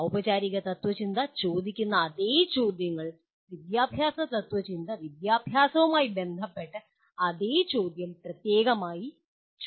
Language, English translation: Malayalam, The same questions that formal philosophy asks; educational philosophy asks the same question specifically with respect to the education